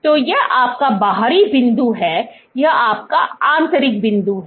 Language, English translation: Hindi, So, this is your outer point, this is your inner point